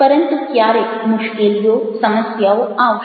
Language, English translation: Gujarati, always some sorts of problems will come